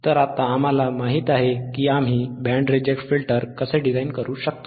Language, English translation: Marathi, So, now we know how we can design a band reject filter right easy